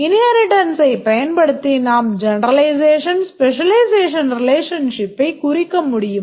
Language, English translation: Tamil, Using the inheritance we can represent the generalization specialization relationship